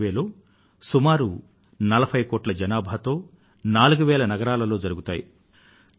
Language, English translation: Telugu, This survey will cover a population of more than 40 crores in more than four thousand cities